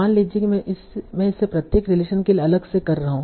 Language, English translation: Hindi, the precision is, suppose I am doing it for each relation separately